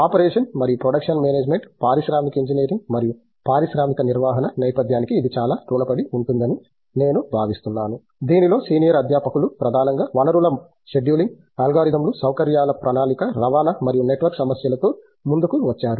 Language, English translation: Telugu, Operation and production management, I think this owes a lot to the industrial engineering and industrial management background with which the senior faculty came with problems which were mainly focused on resource scheduling, algorithms, coming up with facility planning, transportation and network problems